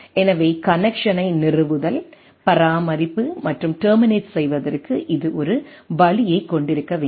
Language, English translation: Tamil, So, it should have a way to connection establishment, maintenance and terminating